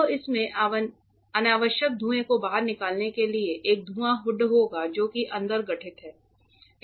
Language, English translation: Hindi, So, it will have a fume hood to take out unnecessary fumes that are formed inside